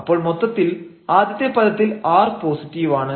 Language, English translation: Malayalam, So, let us assume here r is positive, r can be negative